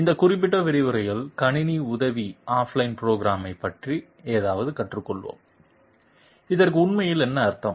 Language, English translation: Tamil, In this particular lecture we will learn something about computer aided off line programming, what does this actually mean